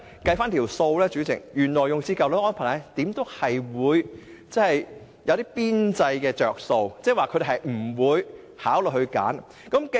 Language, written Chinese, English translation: Cantonese, 代理主席，原來的安排會有一些邊際"着數"，因此他們不會考慮選擇新的安排。, Deputy Chairman they will not choose the new arrangement because the old arrangement can give them some marginal benefits